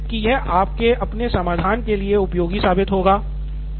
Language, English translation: Hindi, So hopefully this was useful for your own solve stage